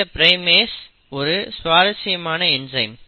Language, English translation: Tamil, Now primase is a very interesting enzyme